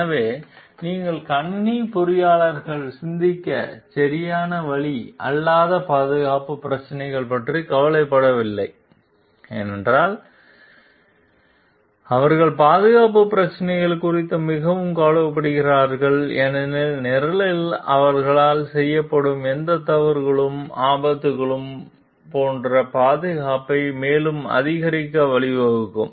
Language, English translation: Tamil, So, if you are thinking like the computer engineers are not concerned with the safety issues that is not the right way to think, because they are very much concerned with the safety issues and because the any errors committed by them in the program may lead to further like escalate the safety like hazards